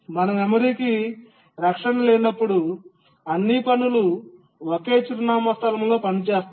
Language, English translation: Telugu, When we don't have memory protection, all tasks operate on the same address space